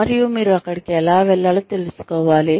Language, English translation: Telugu, And, you should know, how to get there